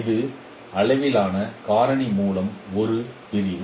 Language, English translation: Tamil, This is a division by the scale factor